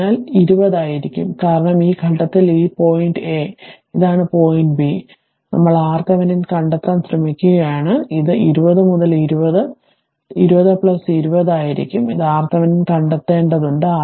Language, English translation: Malayalam, So, it will be 20 because at this point say, this is point A, this is point B, we are trying to find out R Thevenin, so it will be 20 into 20 by 20 plus 20 this is your R thevenin you have to find out